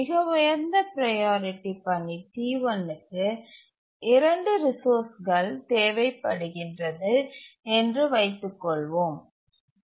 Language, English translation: Tamil, Let's assume that the highest priority task T1 needs several resources